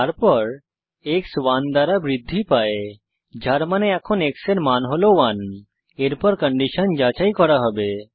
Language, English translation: Bengali, We print the value as 0 Then x is incremented by 1 which means now the value of x is 1, then the condition will be checked